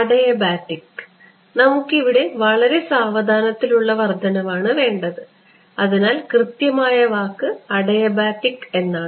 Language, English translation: Malayalam, Adiabatic we want a slow increase so it is called so, correct word is adiabatic